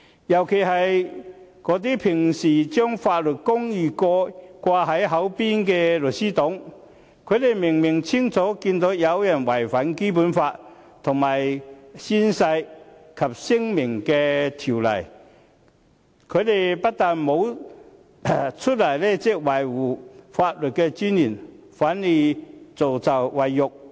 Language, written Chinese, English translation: Cantonese, 尤其是那些平時將法律公義掛在嘴邊的"律師黨"，他們明明清楚看到有人違反《基本法》和《宣誓及聲明條例》，但他們不但沒有出來維護法律尊嚴，反而助紂為虐。, This is simply confounding right with wrong . This is particularly so with the members of the legal party who usually talk incessantly about justice in law . They have seen clearly that someone has breached the Basic Law and the Oaths and Declarations Ordinance but instead of coming forward to safeguard the dignity of law they have aided and abetted the evildoer